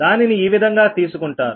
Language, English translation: Telugu, this is taken this way